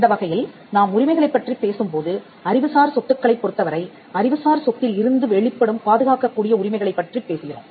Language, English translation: Tamil, In that sense when we talk about rights, when in connection with intellectual property, we are talking about rights that emanate from the intellectual property which are capable of being protected